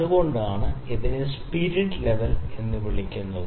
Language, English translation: Malayalam, That is why it is known as spirit level